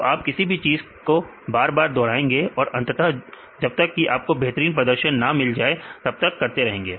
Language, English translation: Hindi, So, you repeat it again and again finally, unless you get the best performance